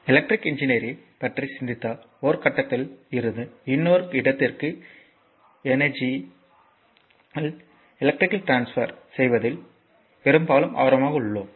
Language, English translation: Tamil, So, and basically if you think about electrical engineering we are often interested that actually electrical transfer in energy from one point to another